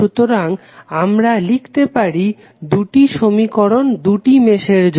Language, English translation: Bengali, So, we can write two equations for both of the meshes one for each mesh